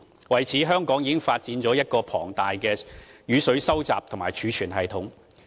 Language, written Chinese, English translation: Cantonese, 為此，香港已發展了一個龐大的雨水收集及儲存系統。, For this reason Hong Kong has developed a huge stormwater collection and storage system